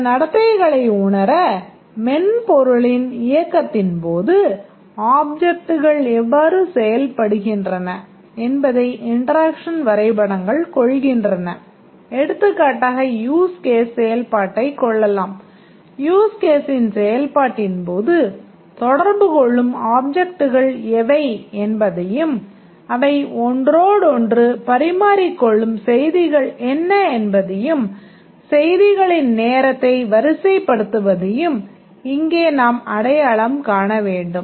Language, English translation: Tamil, The interaction diagrams they capture how the objects interact during the run of the software to realize some behavior for example a use case execution and here we need to identify what are the objects that are interacting during the execution of the use case and what is the messages they are exchanging among each other and the time ordering of the messages